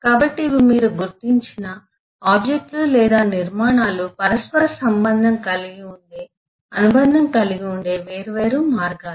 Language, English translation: Telugu, so there are different, these are different ways that the objects or structures that you have identified can be interrelated, can be associated